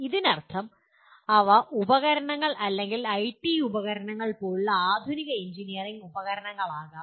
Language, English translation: Malayalam, That means they can be modern engineering tools like equipment or IT tools